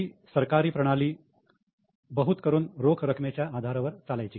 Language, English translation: Marathi, Earlier, government system used to be mostly on cash basis